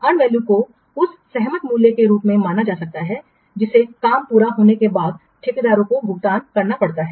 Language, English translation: Hindi, And value can be thought of as the agreed price that has to be paid to the contractor once the work is completed